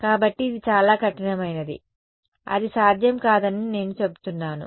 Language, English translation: Telugu, So, I say that is too rigorous that is not possible